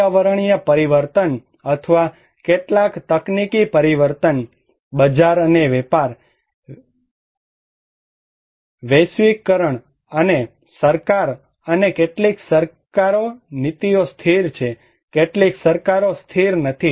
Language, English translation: Gujarati, Environmental change or some technological changes, market and trades, globalization, and government and policies like some governments are stable, some governments are not stable